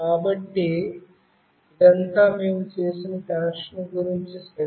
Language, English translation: Telugu, So, this is all about the connection that we have made ok